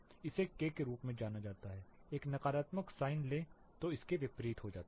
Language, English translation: Hindi, This is termed as K, take a negative sign this become inverse of it